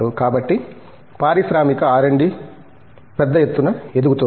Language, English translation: Telugu, So, the industrial R&D is picking up in a big way